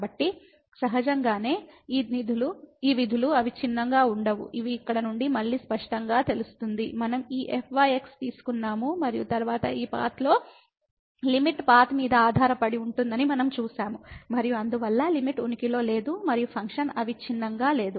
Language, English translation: Telugu, So, naturally these functions are not continuous, which is clear again from here we have taken this and then along this path we have seen that the limit depends on path and hence the limit does not exist and the function is not continuous